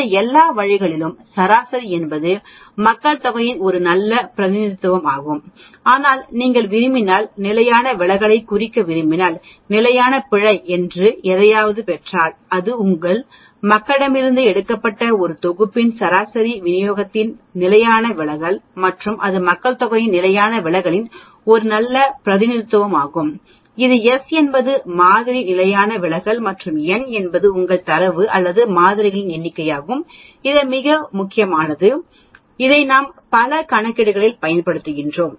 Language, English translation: Tamil, The mean of all these means is a good representation of the population mean but the if you want represent standard deviation so, if we get something called standard error, that is the standard deviation of the sampling distribution of a set means taken from a population and that is a good representation of the standard deviation of the population and that is given by S divided by square root of n, where S is the sample standard deviation and n is your number of data or samples you pick up and this is very, very important we use this in many calculations as we go along